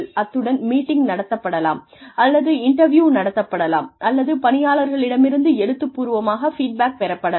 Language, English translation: Tamil, And, maybe a meeting takes place, or an interview takes place, or feedback is taken in writing, from employees